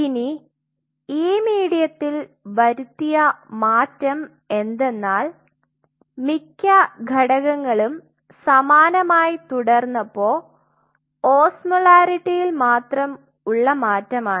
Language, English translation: Malayalam, Now, the modification what has been made in this medium is pretty much all the components remain the same except it is osmolarity has been varied